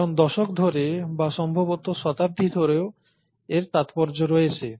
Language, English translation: Bengali, Because it has significance over decades or probably even centuries